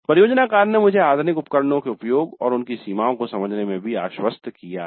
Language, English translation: Hindi, Project work has made me confident in the use of modern tools and also in understanding their limitations